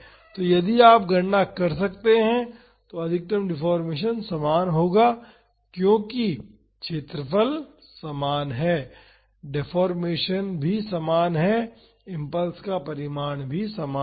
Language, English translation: Hindi, So, the maximum deformation if you calculate that would be same because the area is same so, the deformation is also same the impulse magnitude is same